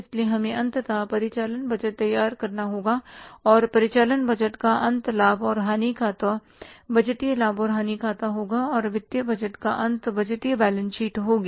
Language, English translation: Hindi, So, we have to finally prepare the operating budget and the end of the operating budget will be the profit and loss account, budgeted profit and loss account and end of the financial budget will be the budgeted balance sheet